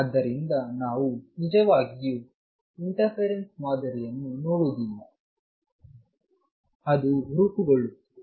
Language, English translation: Kannada, So, we do not really see the interference pattern, but it is being formed